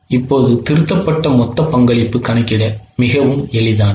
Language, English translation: Tamil, Now, the revised total contribution is very simple to calculate